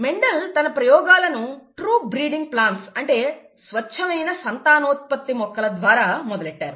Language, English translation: Telugu, Mendel started his experiments with true breeding plants